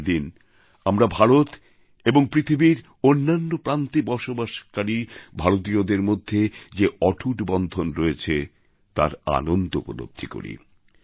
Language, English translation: Bengali, On this day, we celebrate the unbreakable bond that exists between Indians in India and Indians living around the globe